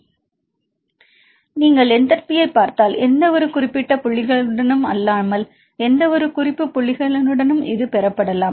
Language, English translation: Tamil, So, if you see the enthalpy it can be obtained related with any reference points right not for the any specific point right